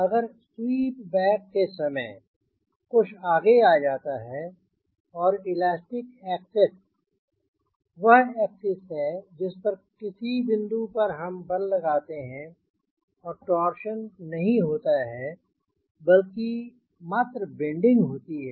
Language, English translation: Hindi, if something is forward, someone is back, and elastic axis is the axis about which if we apply the forces, then it will only do bending, no torsion, right